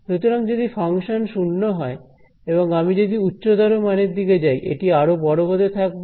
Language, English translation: Bengali, So, if the function is 0 all along over here and as I go to higher and higher values this is going to get larger and larger